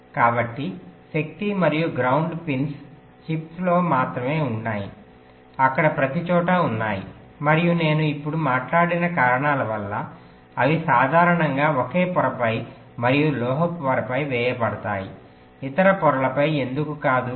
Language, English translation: Telugu, so the power and ground pins are only present across the chip, there everywhere, and because of the reasons i just now talked about, they are typically laid on the same layer and on the metal layer, not on the other layers